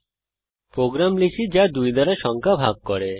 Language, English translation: Bengali, We shall write a program that divides a number by 2